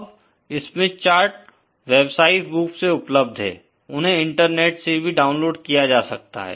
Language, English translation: Hindi, Now, the Smith charts are commercially available, they can be downloaded from the Internet